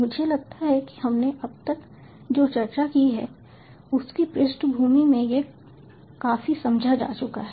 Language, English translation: Hindi, i think this is quite understood in the backdrop of what we have discussed so far